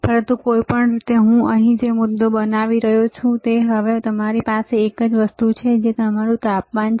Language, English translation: Gujarati, But anyway, the point that I am making here is, now we have one more thing which is your temperature